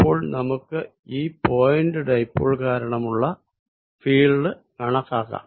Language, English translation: Malayalam, So, let us calculate the field due to this point dipole